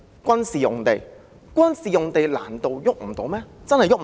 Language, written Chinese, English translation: Cantonese, 軍事用地難道真的碰不得？, Are military sites really untouchable?